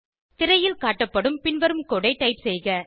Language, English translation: Tamil, Type the following code as displayed on the screen